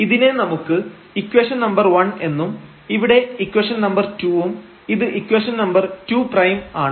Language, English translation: Malayalam, Let us call this equation number 1, here the equation number 2 and this is equation number 2 prime